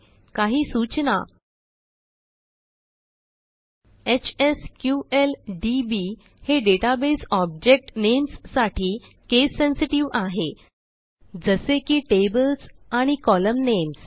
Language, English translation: Marathi, Here are some tips: HSQLDB is case sensitive with its Database object names, such as tables and column names